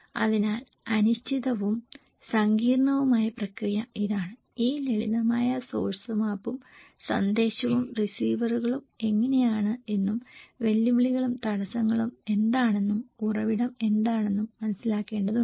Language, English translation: Malayalam, And so, uncertain and complex process this one so, that we need to understand this simple source map source and message and receivers model how what are the challenge and barriers are there